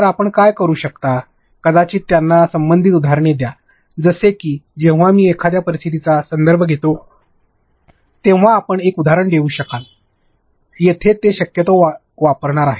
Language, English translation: Marathi, So, what you can do is maybe give them relevant examples like when I refer to a scenarios you can give an example where they are possibly going to use this